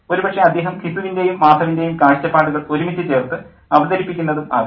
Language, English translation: Malayalam, And probably he is channeling the viewpoints of Gizu and Madov together